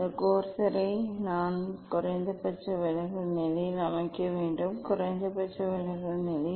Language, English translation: Tamil, I have to set this corsair at the minimum deviation position; at the minimum deviation position